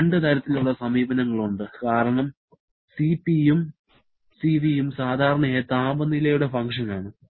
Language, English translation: Malayalam, There are generally two kinds of approaches because Cp and Cv generally functions of temperature